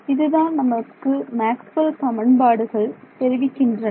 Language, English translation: Tamil, But under these conditions this is what Maxwell’s equation is telling us